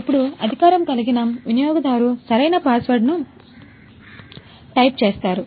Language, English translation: Telugu, Now authorized user types the correct password